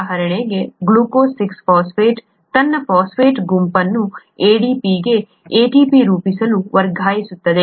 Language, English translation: Kannada, For example, glucose 6 phosphate can transfer its phosphate group to ADP to form ATP